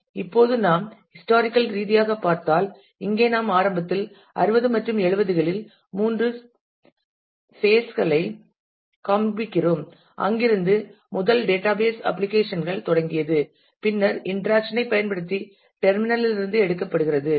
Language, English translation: Tamil, Now, if we historically look at; so, here we are just showing three phases initially 60s and 70s where the first database applications started then the interaction used to be takes based from the terminal